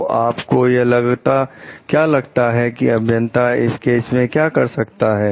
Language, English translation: Hindi, So, what do you think like the engineer can do in this case